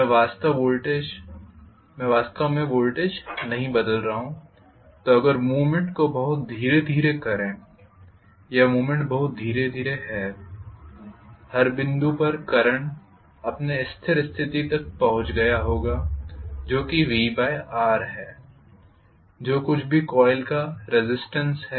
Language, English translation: Hindi, I am not changing the voltage so if I actually make the movement pretty slowly or the movement is happening very slowly, at every point the current would have reached its steady state value which is V by R whatever is the resistance of the coil